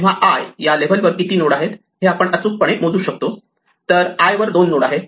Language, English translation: Marathi, So, we can actually measure it correctly by saying that the number of nodes at level i is 2 to the i